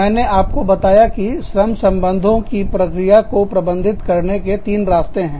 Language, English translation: Hindi, I told you, that there are three ways in which, the labor relations process, can be managed